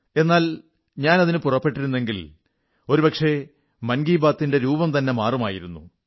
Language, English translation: Malayalam, But today, I think, if I change the course of the conversation that way, the entire complexion of 'Mann Ki Baat' will change